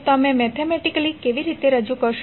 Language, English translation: Gujarati, How you will represent it mathematically